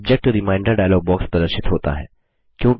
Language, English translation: Hindi, A Subject Reminder dialog box appears